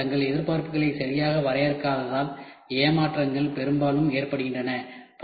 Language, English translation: Tamil, Disappointments often result because the user do not properly define their expectations